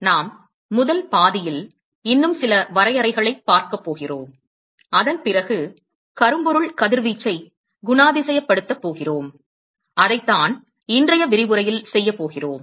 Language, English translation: Tamil, We are going to see, in the first half we are going to see some more definitions, and then we are going to move on to characterizing blackbody radiation, that is what we are going to do in today's lecture